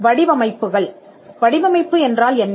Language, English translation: Tamil, Designs; what is a design